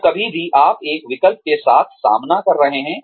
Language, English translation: Hindi, So anytime, you are faced with a choice